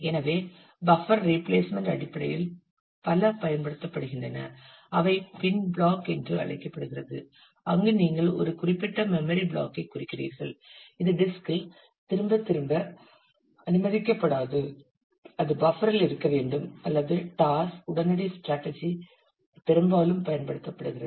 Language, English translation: Tamil, So, there are several that are used in terms of buffer replacement one is called pin block, where you mark a certain memory block which is not allow to be return back to the disk it has to stay in the buffer or a toss immediate strategy is quite often used